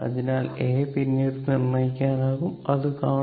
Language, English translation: Malayalam, So, A can be determined later, we will see that